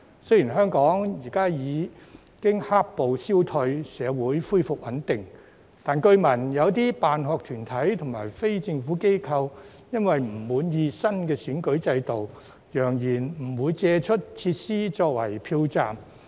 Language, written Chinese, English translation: Cantonese, 雖然香港現已"黑暴"消退，社會恢復穩定，但據聞有些辦學團體及非政府機構，因為不滿意新的選舉制度，揚言不會借出設施作為票站。, Although black - clad violence has subsided and social stability has been restored in Hong Kong it has been reported that some school sponsoring bodies and non - governmental organizations are threatening not to make available their facilities for use as polling stations as they are not satisfied with the new electoral system